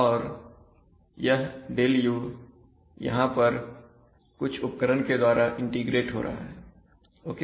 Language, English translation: Hindi, And this ΔU is getting integrated here by some device okay